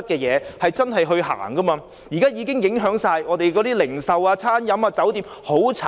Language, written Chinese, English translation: Cantonese, 現在的情況已影響香港的零售業、餐飲業及酒店業。, The present state of affairs has already affected the retail catering and hotel industries